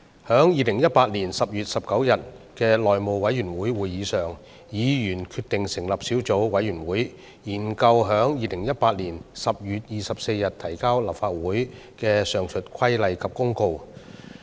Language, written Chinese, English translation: Cantonese, 在2018年10月19日的內務委員會會議上，議員決定成立小組委員會，研究在2018年10月24日提交立法會的上述規例及公告。, At the House Committee meeting on 19 October 2018 Members decided to form a subcommittee to study the above mentioned Regulation and Notice tabled in the Council on 24 October 2018